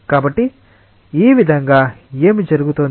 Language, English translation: Telugu, So, in this way what is happening